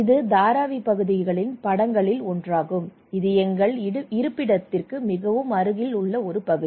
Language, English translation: Tamil, This is one of the picture of Dharavi areas, this is our location close to